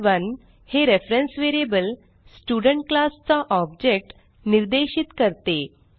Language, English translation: Marathi, stud1 is a reference variable referring to one object of the Student class